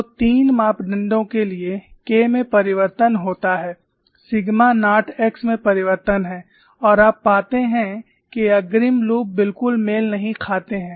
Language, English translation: Hindi, So, for three parameter k changes, sigma naught x changes and you find the frontal loops are not at all matched